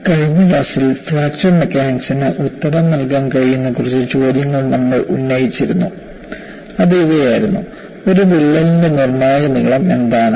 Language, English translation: Malayalam, In the last class, we had raised a few questions that fracture mechanics should be able to answer; these were: what is a critical length of a crack